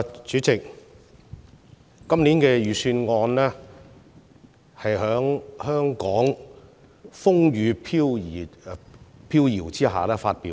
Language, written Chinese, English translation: Cantonese, 主席，今年的財政預算案是在香港風雨飄搖的情況下發表的。, Chairman this years Budget was announced amid turbulence in Hong Kong